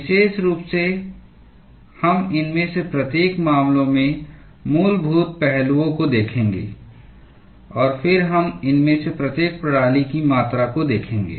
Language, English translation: Hindi, Particularly, we will be looking at the fundamental aspects in each of these cases, and then we will be looking at quantitation of each of these systems